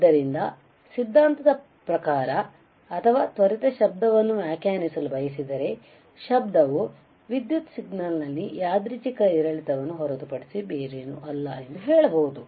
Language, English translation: Kannada, So, in theory or quickly if you want to define noise, then you can say that noise is nothing but a random fluctuation in an electrical signal all right